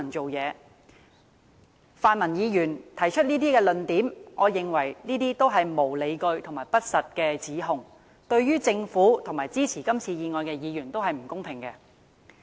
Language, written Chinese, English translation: Cantonese, 我認為，泛民議員提出的這些論點均屬無理據和不實的指控，對於政府和支持這項議案的議員都不公平。, In my view all such points raised by pan - democratic Members are groundless and false accusations which are unfair to both the Government and Members supporting this motion